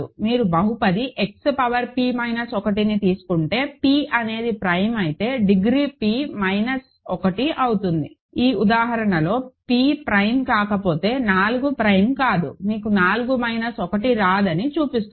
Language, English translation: Telugu, If you take the polynomial X power p minus 1, the degree is p minus 1 if p is prime, in this example shows that, if p is not prime, 4 is not prime you do not get 4 minus 1, ok